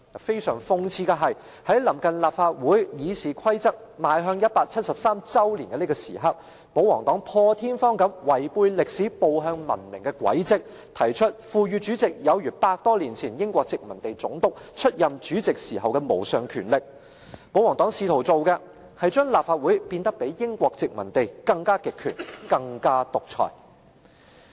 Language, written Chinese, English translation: Cantonese, 非常諷刺的是，在臨近立法會《議事規則》邁向173周年紀念的這時刻，保皇黨破天荒地違背歷史步向文明的軌跡，提出賦予主席有如百多年前英國殖民地總督出任主席時的無上權力，保皇黨試圖做的是把立法會變得比英國殖民地時代更極權、更獨裁。, It is just satirical that when the RoP is approaching its 173 anniversary the pro - Government camp takes an unprecedented move to reverse course from a civilized legislature to an all - powerful President through giving him the power similar to those held by the colonial Governor over one hundred years ago in an attempt to make todays Legislative Council become more totalitarian and authoritarian than in the colonial times